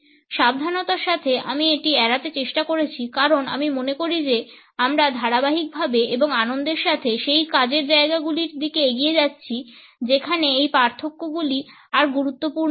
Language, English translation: Bengali, Meticulously I have tried to avoid it because I feel that we are consistently and happily moving in the direction of those work places where these differences are not important anymore